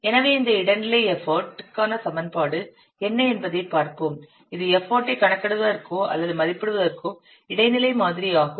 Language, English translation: Tamil, So let's see what will be the equation for this intermediate effort, intermediate model for calculating or estimating effort